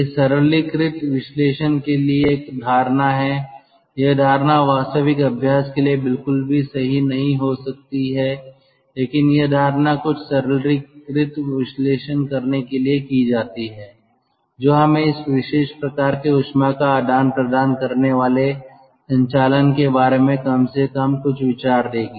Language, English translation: Hindi, this assumption may not be true at all for the actual practice, but this assumption is done to have some simplified analysis which will give us at least some idea regarding the operation of this, of this special kind of heat exchanger